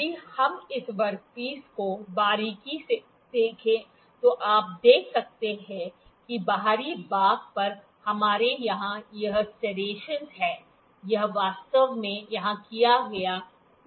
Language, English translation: Hindi, If we see this work piece closely you can see that on the external portion we have this serrations here, this is actually knurling that is done here